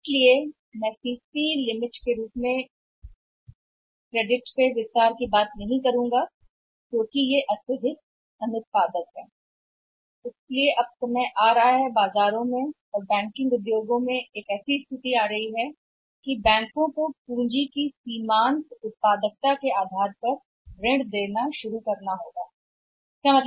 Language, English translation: Hindi, So, they cannot extend the credit in the form of the CC limit which is highly unproductive So, now it is the time time is coming a situation is arising in the market in the banking industry also that they are the banks also have to start lending on the basis of the marginal productivity of the capital marginal productivity of the capital